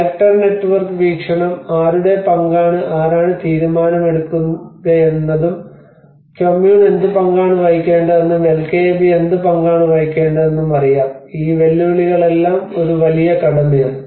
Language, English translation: Malayalam, And the actor network perspective you know whose role is what who will take a decision what role is Kommun has to play what role the LKAB has to play you know these whole challenges have been a big task